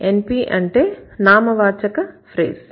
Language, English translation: Telugu, NP stands for what